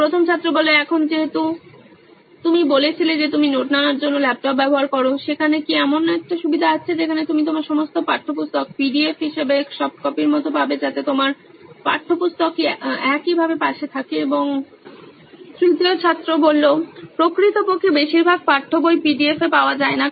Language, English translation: Bengali, Now since you said you use laptop for taking notes, is there a provision where you get all your textbook as PDFs like a soft copy so that you have your textbook at the same side and… Actually most of the text books are not available in PDF